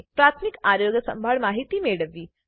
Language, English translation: Gujarati, How to locate information on primary health care